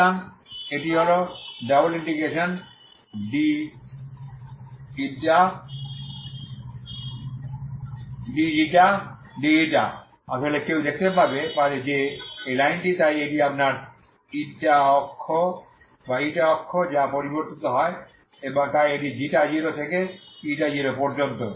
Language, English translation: Bengali, So this is ∬dξ dη is actually one can see that this is the line so this is your η axis, η axis which is varying so this is from ξ0 to η0